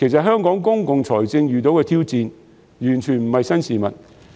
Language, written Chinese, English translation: Cantonese, 香港公共財政遇到挑戰，完全不是新事物。, There is absolutely nothing new for Hong Kongs public finance to face up to challenges